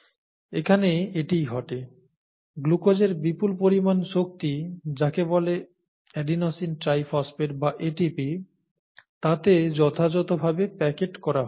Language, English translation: Bengali, So that is what happens here, the large amount of energy in glucose gets packaged into appropriate energy in what is called an Adenosine Triphosphate or ATP